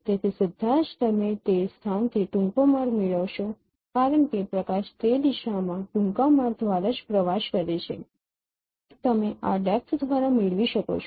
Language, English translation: Gujarati, So directly you are getting the shortest path from that location since light travels through the shortest path in that direction itself you can get this depth